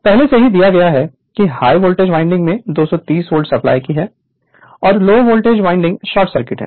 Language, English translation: Hindi, It is given that is the high voltage winding is supplied at 230 volt with low voltage winding short circuited